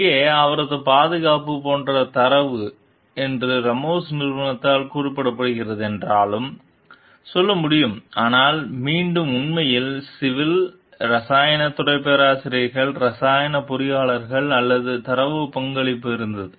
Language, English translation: Tamil, Here like to in her defense we can tell, like though the data was claimed to be the Ramos s company, but again the actually, the civil the chemical engineers of chemical department professors also, had contribution in this data